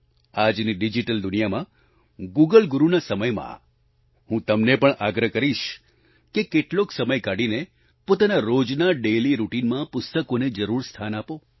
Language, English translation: Gujarati, I will still urge you in today's digital world and in the time of Google Guru, to take some time out from your daily routine and devote it to the book